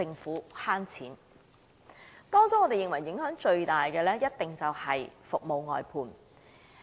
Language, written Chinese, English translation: Cantonese, 在各項措施中，我們認為影響最大的一定是服務外判制度。, Among the various initiatives we think that the service outsourcing system must be blamed for causing the greatest impact